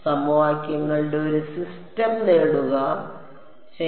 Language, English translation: Malayalam, Get a system of equations ok